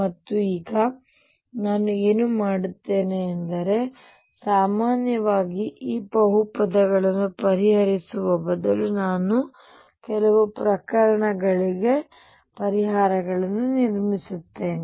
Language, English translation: Kannada, And now what I will do is instead of solving for this polynomial in general I will build up solution for certain cases